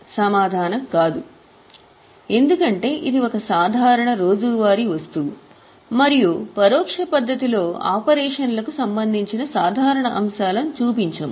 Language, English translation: Telugu, The answer is no because it is a normal day to day item and in the indirect method we do not show normal items related to operations